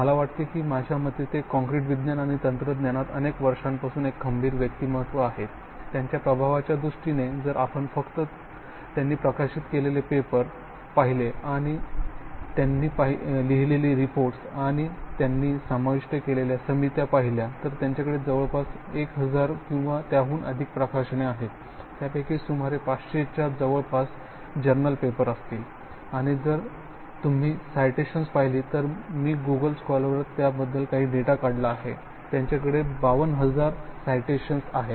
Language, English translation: Marathi, He has, he is one of the top people and I think in my opinion the leader in concrete science and technology for many years, in terms of the impact if we just look at the paper that he is published, reports that he is written and committees that he has added, he has close to or more than 1000 publications, out of that about 500, close to 500 would be journal papers and if you look at citations, I just pulled up some data on Google scholar, he has 52000 citations, his H index is much more than 100 and I do know if, I do not think he will look at statistics but I10 index is about more than 1000